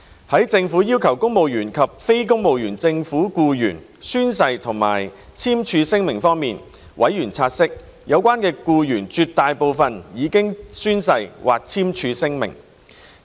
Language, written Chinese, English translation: Cantonese, 在政府要求公務員及非公務員政府僱員宣誓或簽署聲明方面，委員察悉，有關僱員絕大部分已經宣誓或簽署聲明。, As regards the Governments requirement for civil servants and non - civil service government staff to take an oath or sign a declaration members noted that the great majority of the staff had taken an oath or signed the declaration